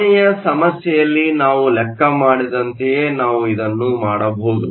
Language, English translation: Kannada, We can do the same thing that we did in the last problem